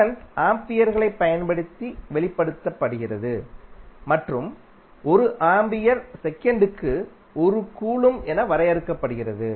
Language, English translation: Tamil, Current is defined in the form of amperes and 1 ampere is defined as 1 coulomb per second